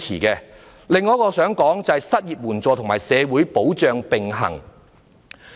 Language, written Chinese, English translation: Cantonese, 此外，我想談談失業援助及社會保障並行。, Moreover I wish to discuss unemployment assistance and social security to be implemented in parallel